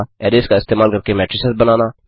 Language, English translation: Hindi, Create matrices using arrays